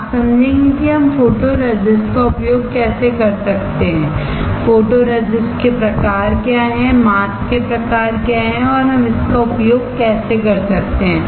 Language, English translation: Hindi, You will understand how we can use photoresist, what are the types of photoresist, what are the types of mask and how we can use it